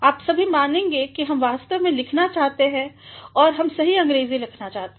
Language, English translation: Hindi, All of you will believe that we actually want to write and we want to write correct English